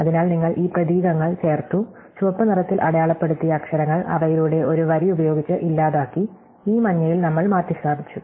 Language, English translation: Malayalam, So, you have inserted these characters, you have deleted the letters marked in red with a line through them and in this yellow we have replace